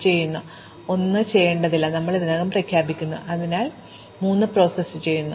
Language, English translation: Malayalam, We go back to 2, so we had already declared that 1 was not to be done, we have already processed 3